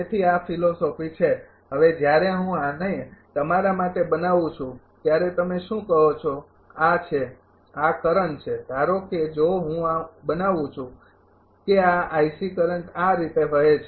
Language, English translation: Gujarati, So, this is the philosophy now when I am making this your what you call this is this is the current suppose if I make that this is the i C current flowing like this